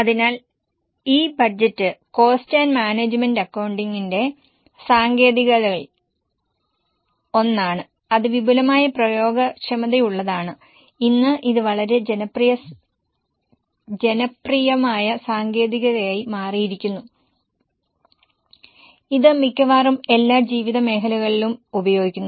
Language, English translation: Malayalam, So this budget is one of the techniques of cost and management accounting which has a vast applicability and today it has become very popular technique and used in almost all walks of life